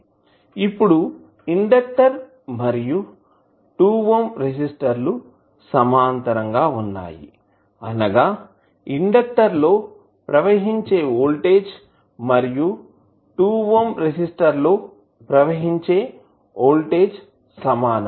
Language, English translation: Telugu, Now, since the inductor and the 2 ohm resistors are in parallel that means whatever is the voltage coming across the inductor will be the same voltage which is coming across the 2 ohm resistor